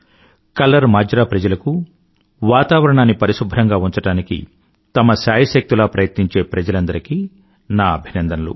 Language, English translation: Telugu, Congratulations to the people of KallarMajra and of all those places who are making their best efforts to keep the environment clean and pollution free